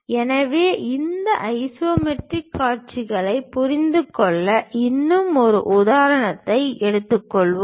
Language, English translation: Tamil, So, let us take one more example to understand these isometric views